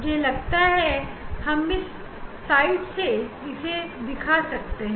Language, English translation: Hindi, I think from this side we will show this slit